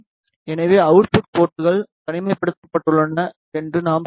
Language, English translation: Tamil, So, we can say that the output ports are isolated